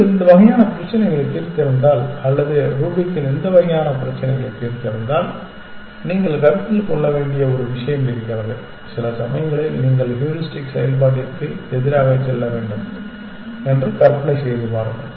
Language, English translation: Tamil, There is one thing that you should consider if you have solved this kind of problems or if you have solved Rubik’s kind of problems just try to imagine that sometimes you have to go against the heuristic function